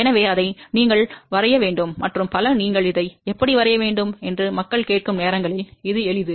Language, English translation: Tamil, So, you have to draw it yourself and many a times people ask how do you draw this, well it is simple